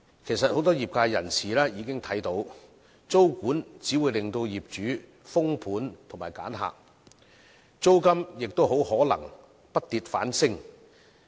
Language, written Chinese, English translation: Cantonese, 其實，很多業界人士已經看到，租務管制只會令業主封盤和挑選租客，租金也可能會不跌反升。, In fact many people in the industry have observed that tenancy control will only induce property owners to stop renting out their flats or select tenants and rents will probably rise rather than drop